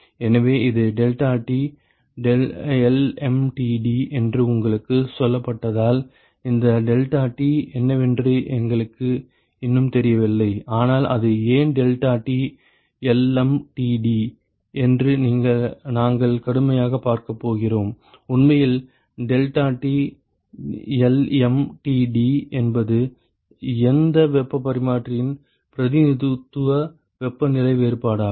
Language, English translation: Tamil, So, we still do not know what this deltaT is you have been told that it is deltaT LMTD, but we are going to see rigorously why it is deltaT LMTD and in fact, why deltaT, LMTD is the representative temperature difference for any heat exchanger